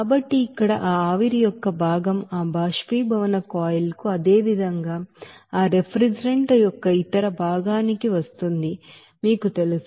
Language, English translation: Telugu, So here this you know fraction of that vapor will be coming to that evaporation coil as well as other part of that refrigerant that will be 1 0